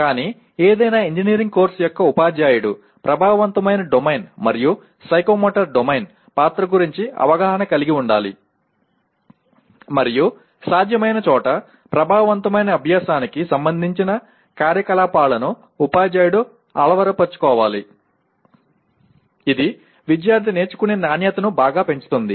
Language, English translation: Telugu, But a teacher of any engineering course should be aware of the role of affective domain and psychomotor domain and wherever possible the activities related to affective learning should be incorporated by, by the teacher which will greatly enhance the quality of learning by the student